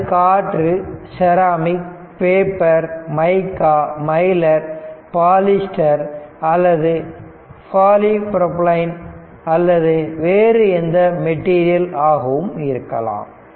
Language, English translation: Tamil, It can be air, ceramic, paper, mica, Mylar, polyester, or polypropylene, or a variety of other materials right